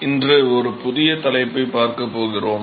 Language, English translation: Tamil, So, we are going to start a new topic today